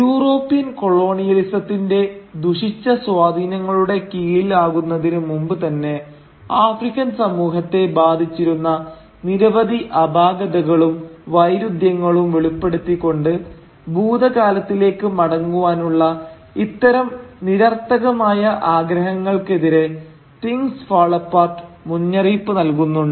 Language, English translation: Malayalam, Now, Things Fall Apart cautions against any such simplistic desire to revert back to the past by revealing the many fault lines and internal contradictions that plagued the African society even before it came under the corrupting influence of the European colonialism